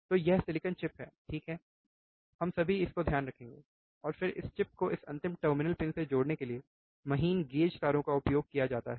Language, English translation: Hindi, So, this is the silicon chip, right we all remember this, and then fine gauge wires are used to connect this chip to the this final terminal pins